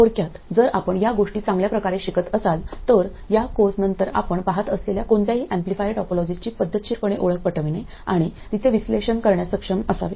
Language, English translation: Marathi, In short, if you learn things well after this course you should be able to recognize and analyze any amplifier topology that you see and the keyword here is systematically